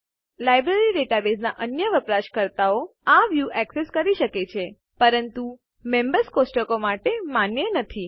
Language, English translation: Gujarati, Other users of the Library database can be allowed to access this view but not the Members table